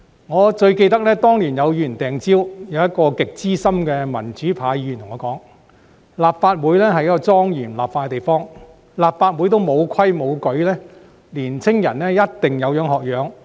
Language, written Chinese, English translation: Cantonese, 我最記得當年有議員擲蕉，一位極資深的民主派議員對我說，立法會是一個莊嚴立法的地方，如果立法會也沒有規矩，年青人一定有樣學樣。, I remember vividly that when Members threw a banana back then a very senior Member of the pro - democracy camp expressed to me that the Legislative Council was a solemn venue for the enactment of legislation and young people would definitely follow suit when rules were not observed here in this Council